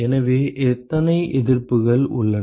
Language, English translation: Tamil, So, how many resistances are there